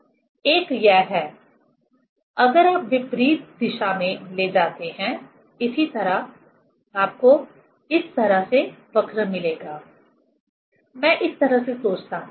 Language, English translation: Hindi, This is the one if you take in opposite direction; similarly you will get, you will get this way curve like this; I think this way